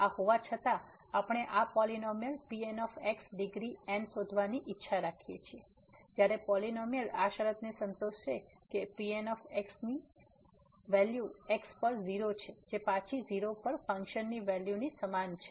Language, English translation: Gujarati, Having this we wish to find this polynomial of degree , with the conditions that this polynomial satisfies that polynomial at is equal to 0 is equal to the function value at 0